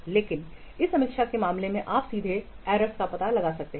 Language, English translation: Hindi, But in case of this review you can directly what detect the errors